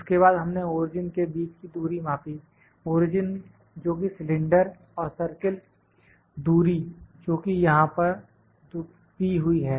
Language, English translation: Hindi, Then distance we measured between the origin; origin that is the cylinder and the circle the distance is given here